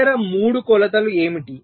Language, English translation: Telugu, what are the other three dimensions